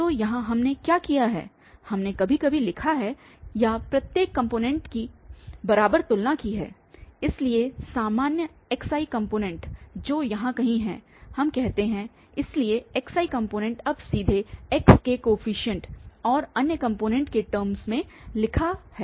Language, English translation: Hindi, So, here what we have done, we have just written or compared each component equal, so the general xi component which is somewhere here let us say, so xi component is written now directly in terms of the coefficient and the other components of x